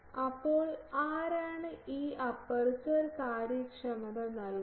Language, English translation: Malayalam, So, who gives this aperture efficiency